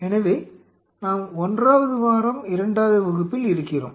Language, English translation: Tamil, So, we are in to week 1 class 2